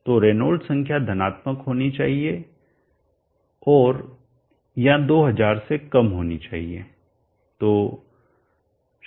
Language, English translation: Hindi, So the Reynolds number should be positive, and R less than 2000